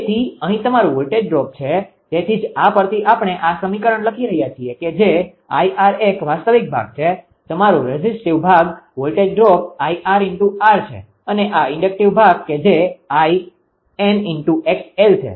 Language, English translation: Gujarati, So, here your voltage drop that is why this this equation from this only we are writing that it is I r that is a real part, your resistive part voltage drop I r into r and this this is the inductive part that is why I x into x l